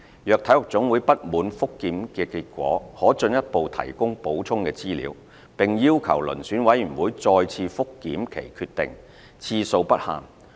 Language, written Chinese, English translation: Cantonese, 若體育總會不滿覆檢結果，可進一步提供補充資料，並要求遴選委員會再次覆檢其決定，次數不限。, If an NSA is dissatisfied with the result of the review it may again submit supplementary information and request a further review by the Selection Committee . There is no limit on the number of rounds of review requested